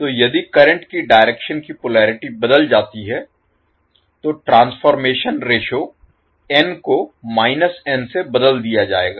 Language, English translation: Hindi, So, if the polarity of the direction of the current changes, the transformation ratio, that is n may need to be replaced by minus n